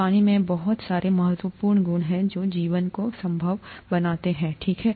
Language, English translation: Hindi, Water has very many important properties that make life possible, okay